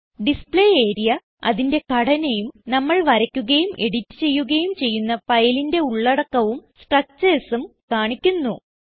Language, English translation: Malayalam, Display area shows the structures and the contents of the file that we draw and edit